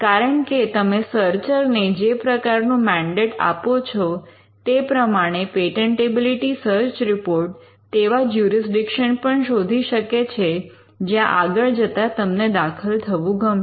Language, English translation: Gujarati, Because, the patentability search report depending on the mandate you give to the searcher can also search for jurisdictions where you want to enter eventually